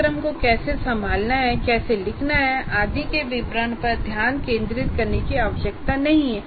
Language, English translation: Hindi, So you don't have to focus on the details of how to handle what kind of program to write and so on